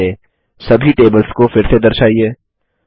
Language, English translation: Hindi, Bring back all the tables to visibility in Base